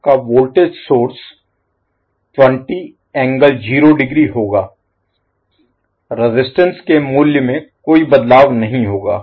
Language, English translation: Hindi, So your voltage source will be 20 angles, 0 there will be no change in registers